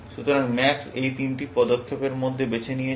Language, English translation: Bengali, So, max has chosen within these three moves